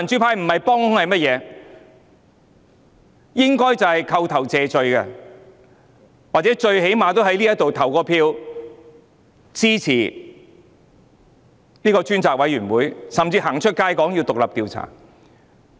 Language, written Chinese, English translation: Cantonese, 他們應該要扣頭謝罪，或最低限度在這裏投票支持成立專責委員會，甚至走出街說要展開獨立調查。, They should apologize or at least vote in support of the establishment of a select committee or even go to the streets to call for an independent inquiry